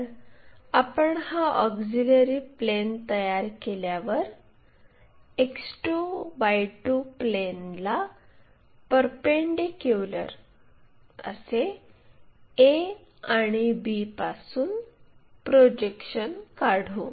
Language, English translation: Marathi, So, once we construct this auxiliary plane, draw the projections from a and b; a and b, perpendicular to X 2 Y 2 plane